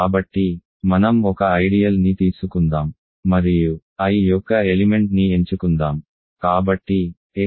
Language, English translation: Telugu, So, let us take an ideal and let us choose an element of I